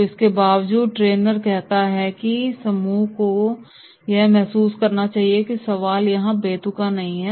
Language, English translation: Hindi, So in spite of that the trainer says, the group should realise that is no this question is irrelevant here